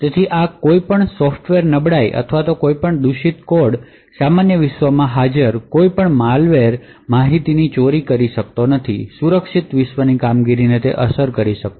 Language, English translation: Gujarati, So, thus any software vulnerability or any malicious code any malware present in the normal world cannot steal information ok not affect the secure world operations